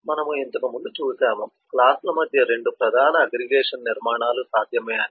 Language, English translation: Telugu, we had earlier seen 2 major aggregation structures possible among classes